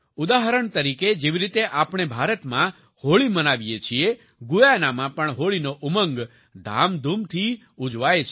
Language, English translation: Gujarati, For example, as we celebrate Holi in India, in Guyana also the colors of Holi come alive with zest